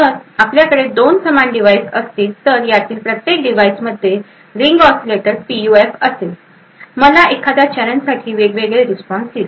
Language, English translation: Marathi, If I have two exactly identical devices, each of these devices having a Ring Oscillator PUF, each would give me a different response for a particular challenge